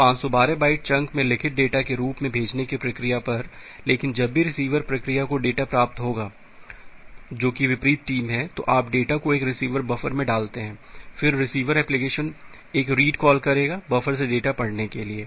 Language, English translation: Hindi, So, at the sending process as written data in 512 byte chunks, but whenever the receiver process will receive the data, that is the opposite team, you get the data put it in a buffer receiver buffer, then the receiver application will make a read call to read the data from the buffer